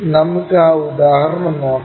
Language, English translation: Malayalam, So, let us look at that example